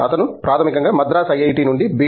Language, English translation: Telugu, He is been a faculty in IIT, Madras for 20 years